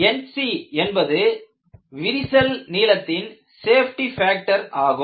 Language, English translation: Tamil, You call this as N c and you name it as crack length safety factor